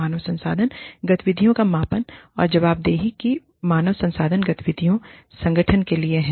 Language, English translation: Hindi, Measurement of human resources activities, and the accountability, that the human resources activities, have to the organization